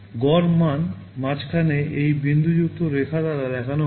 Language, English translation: Bengali, The average value is shown by this dotted line in between